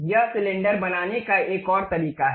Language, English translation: Hindi, This is another way of constructing cylinder